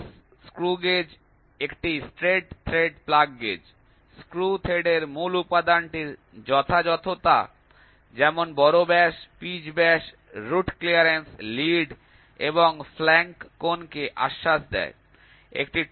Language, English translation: Bengali, Plugs screw gauge a straight thread plug gauge assures the accuracy of the basic element of a screw thread, namely major diameter, pitch diameter, root clearance, lead and the flank angle